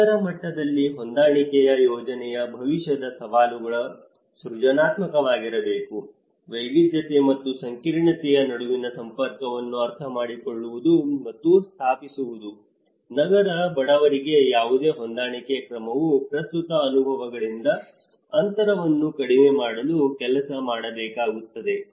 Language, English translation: Kannada, The future challenges of adaptation planning in city level needs to be creative, understanding and establishing connections between diversity and complexity, any adaptation measure for the urban poor has to work towards bridging the gap from present experiences